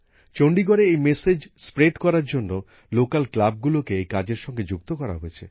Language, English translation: Bengali, To spread this message in Chandigarh, Local Clubs have been linked with it